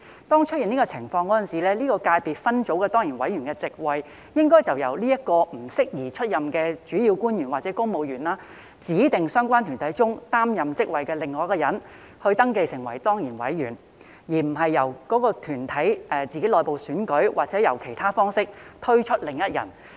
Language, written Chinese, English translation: Cantonese, 當出現這種情況時，該界別分組的當然委員的席位，應由該名不宜出任的主要官員或公務員，指定在相關團體中擔任職位的另一人登記為當然委員，而並非由該團體作內部選舉或以其他方式推舉另一人。, When such a situation arises the principal official or civil servant ineligible to be registered as an ex - officio member of the subsector should designate another person who is holding an office in the relevant body to be registered as the ex - officio member rather than having another person selected by the body through internal election or other means